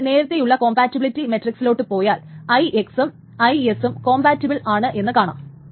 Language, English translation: Malayalam, So if you go back to our compatibility matrix, IX and IS is compatible, so there is no problem with this